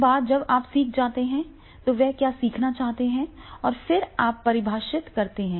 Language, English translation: Hindi, Once you learn that what they want to learn and then you define